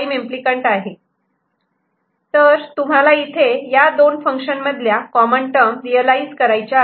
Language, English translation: Marathi, So, you see this is these are the common terms between these two functions that are to be realized